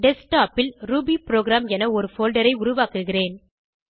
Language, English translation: Tamil, On Desktop, I will create a folder named rubyprogram